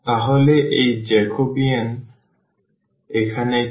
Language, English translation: Bengali, So, what is this Jacobian here